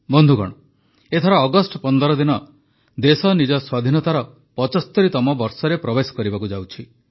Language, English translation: Odia, Friends, this time on the 15th of August, the country is entering her 75th year of Independence